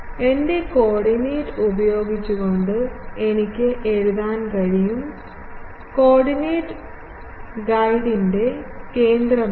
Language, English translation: Malayalam, I can write according to my using coordinate, my coordinate is a center of the guide